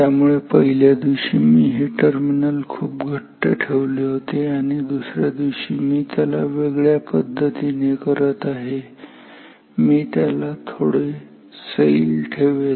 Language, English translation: Marathi, So, the first day say I made this terminal very tight and the next day I was doing it differently and I did not make it so tight it has loose